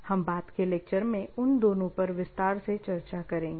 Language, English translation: Hindi, We will discuss about both of them in details in the subsequent lectures